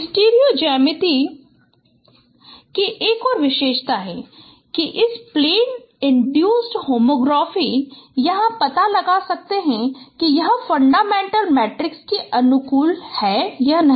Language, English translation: Hindi, Another feature of the studio geometry that this plane induced homography or you can find out whether it is compatible to a fundamental matrix or not